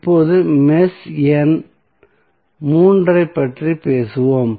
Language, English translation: Tamil, Now, let us talk about the mesh number three what you will get